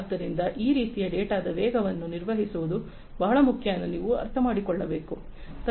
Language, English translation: Kannada, So, as you can understand that handling this kind of velocity of data is very important